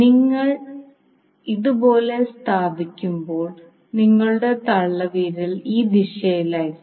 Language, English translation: Malayalam, So you will see when you place end like this your thumb will be in this direction